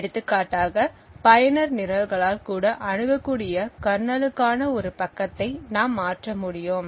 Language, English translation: Tamil, So, we would for example be able to convert a page which is meant only for the kernel to be accessible by user programs also